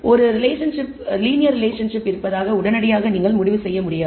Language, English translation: Tamil, It does not immediately you cannot conclude there is a linear relationship